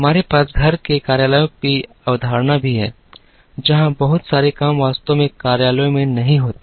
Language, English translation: Hindi, We also have the concept of home offices, where a lot of work does not actually happen in the offices